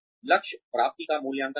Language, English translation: Hindi, Evaluate goal achievement